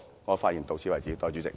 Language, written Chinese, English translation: Cantonese, 我的發言到此為止。, That is the end of my speech